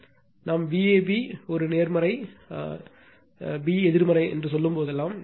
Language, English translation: Tamil, So, whenever we say V a b a positive, b negative